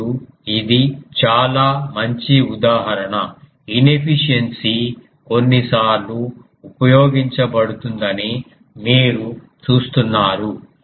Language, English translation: Telugu, Now this is an very good example that you see inefficiency sometimes are used ah